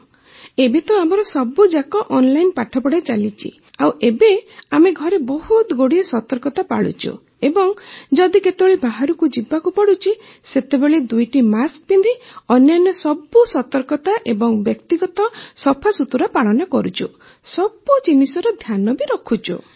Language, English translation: Odia, Yes, right now all our classes are going on online and right now we are taking full precautions at home… and if one has to go out, then you must wear a double mask and everything else…we are maintaining all precautions and personal hygiene